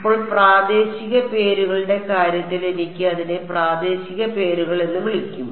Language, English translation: Malayalam, Now, in terms of local names what can I call it local names